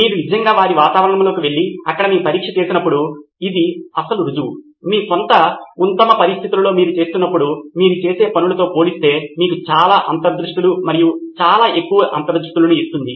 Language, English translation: Telugu, The actual proof of the pudding is when you actually go to their environment and do your testing there, that gives you far more insights and far more richer insights compared to what you would do when you are doing it in your own best conditions